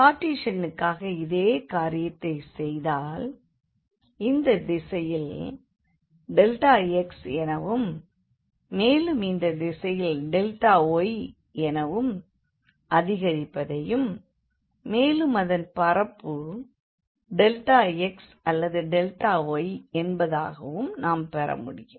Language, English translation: Tamil, So, when we have done same thing for the Cartesian one, so we were getting this increment in this direction by delta x and in this direction by delta y, and then this area becomes just delta x or delta y